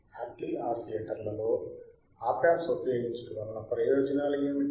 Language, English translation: Telugu, wWhat are the advantages of Hartley oscillators using Op amps ok